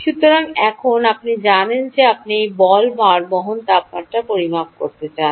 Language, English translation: Bengali, good, so now you know that you want to measure the temperature of this ball bearing